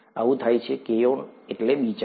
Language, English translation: Gujarati, It so happens, karyon means nucleus